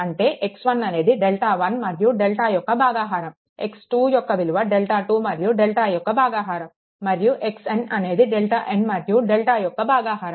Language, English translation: Telugu, So, it can be easily solved x 1 is equal to delta, 1 by delta will see what is delta 1 or delta x 2 is equal to delta 2 by delta and x n up to the delta n by delta